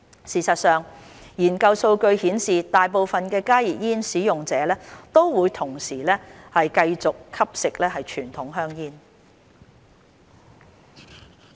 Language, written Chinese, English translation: Cantonese, 事實上，研究數據顯示大部分加熱煙使用者都同時繼續吸食傳統香煙。, In fact research data show that most users of HTPs continue to smoke traditional cigarettes